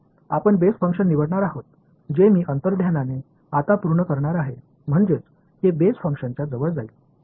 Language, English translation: Marathi, Next we will choose the function we choose the basis function which I intuitively now is going to satisfy the I mean it is going to be close to the basis function